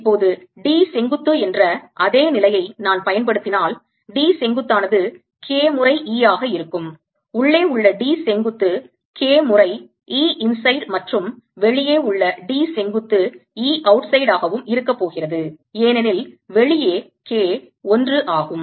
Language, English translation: Tamil, now, if i apply the condition that d perpendicular is the same, right d perpendicular is going to be k times e d perpendicular inside is going to be k times e inside and d perpendicular outside is going to be e outside because oustide k is one